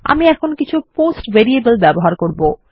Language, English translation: Bengali, Ill take into account some POST variables now